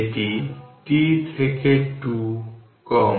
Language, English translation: Bengali, So, for t less than 0